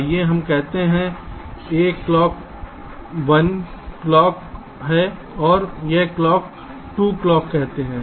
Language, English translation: Hindi, lets say this clock is clock one, lets call this as clock two